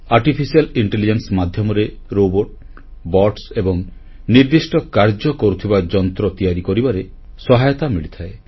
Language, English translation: Odia, Artificial Intelligence aids in making robots, Bots and other machines meant for specific tasks